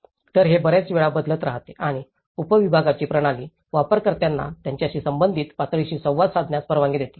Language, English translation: Marathi, So, this keeps changing very frequently and the system of subdivision allows users to interface with a level that is relevant to them